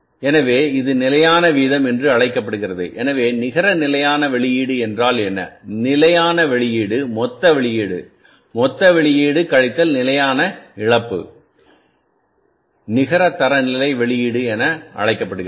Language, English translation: Tamil, So what a net standard output standard output is the gross output gross output minus standard loss gross output minus standard loss which is called as the net standard output